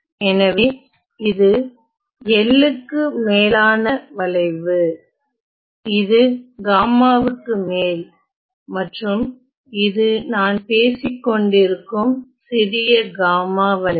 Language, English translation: Tamil, So, this is my curve this is over L, this is over gamma and this is the curve I am talking about is small gamma